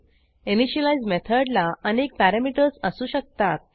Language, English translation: Marathi, An initialize method may take a list of parameters